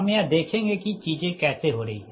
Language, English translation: Hindi, so just i just will see that how things are happening